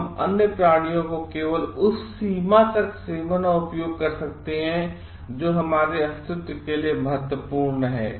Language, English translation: Hindi, We can eat and use other creatures only to the extent it is vital for our survival